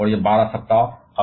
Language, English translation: Hindi, And it is span for twelve weeks